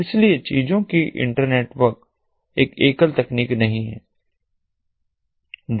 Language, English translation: Hindi, so internetwork of things is not a single technology